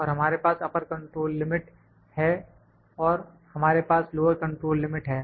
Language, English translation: Hindi, And we have upper control limit and we have lower control limit